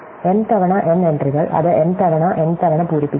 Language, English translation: Malayalam, So, m times n entries, we fill it m times n times